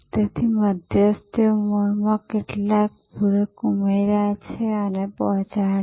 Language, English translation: Gujarati, So, the intermediary added some supplementary to the core and delivered